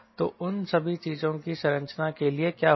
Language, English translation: Hindi, so what will happen to structure